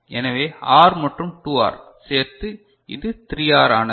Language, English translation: Tamil, So, R and 2R, together it is 3 R right